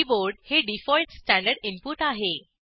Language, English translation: Marathi, The default standard input is the keyboard